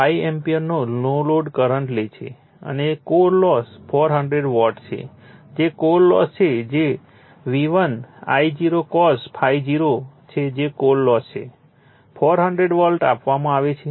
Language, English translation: Gujarati, 5 ampere and the core loss is 400 watt that is core loss is given that is V1 your I0 cos ∅0 that is your core loss 400 watt is given